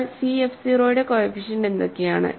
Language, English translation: Malayalam, But what are the coefficients of c f 0